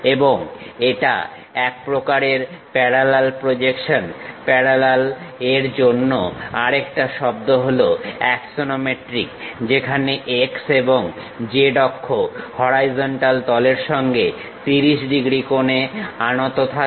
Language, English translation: Bengali, And it is a type of parallel projection, the other word for parallel is axonometric, where the x and z axis are inclined to the horizontal plane at the angle of 30 degrees